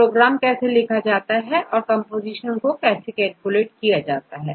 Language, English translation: Hindi, Then how to write a program, how to calculate the composition